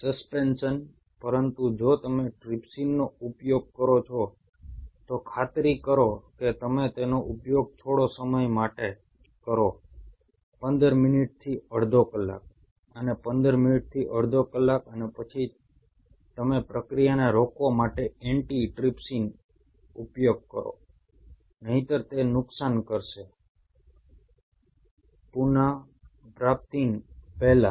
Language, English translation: Gujarati, But if you use trypsin, you have to ensure you use it for a small period of time, say 15 minutes to half an hour, and 15 minutes to half an hour, and then you use an antitripsin to stop that reaction